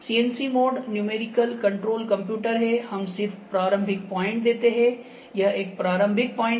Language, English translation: Hindi, CNC mode is computer with numerical controlled, we just give the initial point over this is a starting point